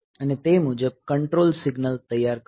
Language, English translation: Gujarati, And it will prepare the control signals accordingly